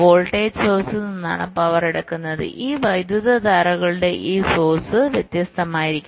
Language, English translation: Malayalam, so power is drawn from the voltage source, and this source, i mean sources of these currents can be various